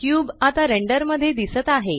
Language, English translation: Marathi, The cube can now be seen in the render